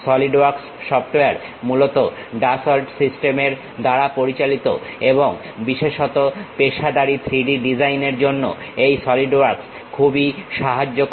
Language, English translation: Bengali, The Solidworks software mainly handled by Dassault Systemes and especially for professional 3D designing this Solidworks helps a lot